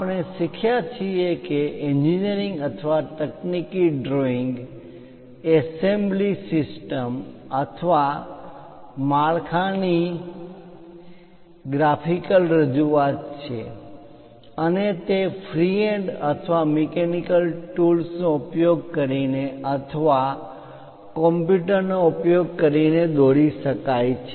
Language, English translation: Gujarati, There we have learnt an engineering or a technical drawing is a graphical representation of a part, assembly system or structure and it can be produced using freehand or mechanical tools or using computers